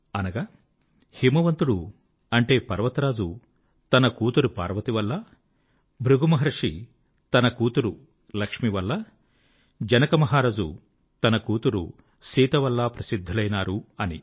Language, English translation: Telugu, Which means, Himwant, Lord Mount attained fame on account of daughter Parvati, Rishi Brighu on account of his daughter Lakshmi and King Janak because of daughter Sita